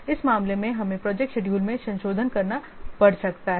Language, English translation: Hindi, In this case, we might have to require to revise the project schedule